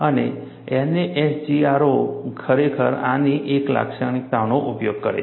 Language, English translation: Gujarati, And NASGRO, really uses a feature of this, a modification of this